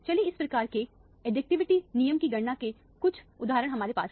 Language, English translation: Hindi, Let us have some examples of calculation of this type of additivity rule